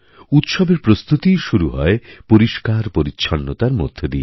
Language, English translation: Bengali, In fact, preparations for festivals always begin with cleaning